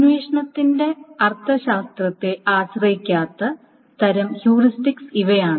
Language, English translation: Malayalam, These are all kind of heuristics that do not depend on the semantics of the query